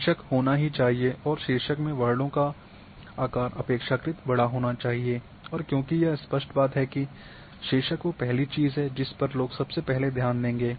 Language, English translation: Hindi, The title must be there then size of the characters in title should be relatively quite large and it should be obvious that this is the first thing, whichever is large the people will notice first